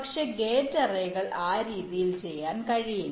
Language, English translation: Malayalam, but gate arrays cannot be done in that way